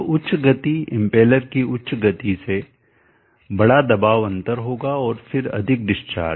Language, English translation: Hindi, So higher the speed impellers speed larger be pressure difference and then one of the discharge